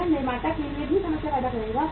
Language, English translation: Hindi, It will create the problem for the manufacturer also